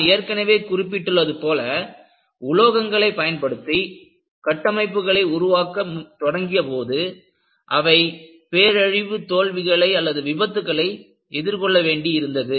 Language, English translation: Tamil, And, as I mentioned, when they started using structures made of metals, they had to come up and deal with catastrophic failures